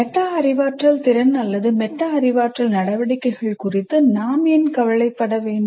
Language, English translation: Tamil, And why should we be concerned about metacognitive ability or metacognitive activities